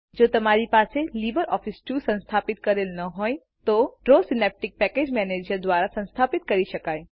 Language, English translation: Gujarati, If you do not have LibreOffice Suite installed, Draw can be installed by using Synaptic Package Manager